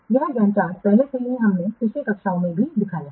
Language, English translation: Hindi, This GAN chart already also we have shown earlier in the last classes